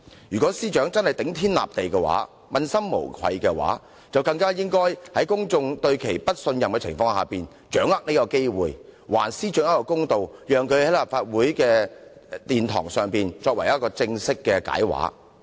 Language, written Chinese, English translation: Cantonese, 如果司長的確頂天立地，問心無愧，就更應該在公眾對她不信任的時候，把握這次機會還自己一個公道，正式地在立法會的議事堂解釋。, If the Secretary for Justice is a person of integrity and has a clear conscience she should take this opportunity when members of the public have lost trust in her to do justice to herself by formally giving an account in the Chamber of the Legislative Council